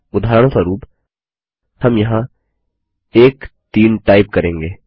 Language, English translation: Hindi, For eg we will type 1 3 here